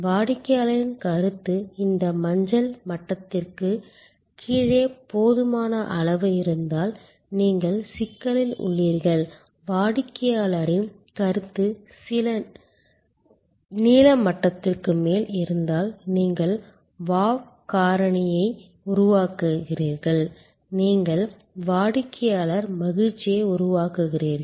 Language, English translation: Tamil, If the customer's perception is below this yellow level, the adequate level, then you are in trouble and if the customer's perception is above the blue level then you are creating wow factor, then you are creating customer delight